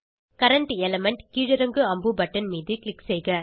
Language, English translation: Tamil, Click on Current element drop down arrow button